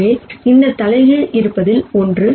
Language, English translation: Tamil, So, this inverse is something that exists